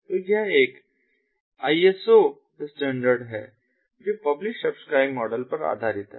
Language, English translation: Hindi, so it is an iso, iso standard which is based on the publish subscribe model and ah, ah